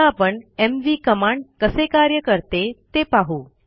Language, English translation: Marathi, Now let us see how the mv command works